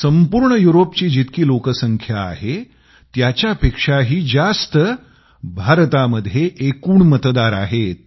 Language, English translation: Marathi, The total number of voters in India exceeds the entire population of Europe